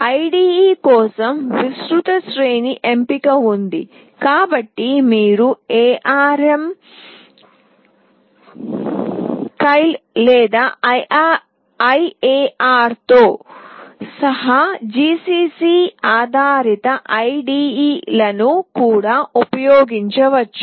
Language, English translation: Telugu, There is a wide range of choice of IDE, so you can also use ARM Keil or GCC based IDE’s including IAR